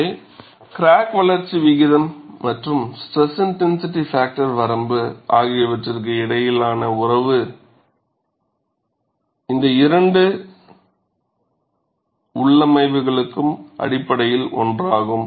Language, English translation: Tamil, So, the relationship between crack growth rate and stress intensity factor range is essentially the same for these two loading configurations